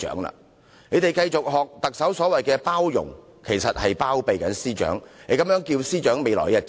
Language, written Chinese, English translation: Cantonese, 他們繼續像特首那樣"包容"，其實只是"包庇"，這樣司長未來的日子將如何是好？, If Members continue to tolerate as what the Chief Executive did they are actually shielding her